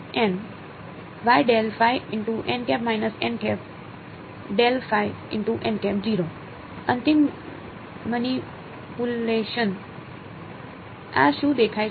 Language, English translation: Gujarati, Final manipulation, what is this look like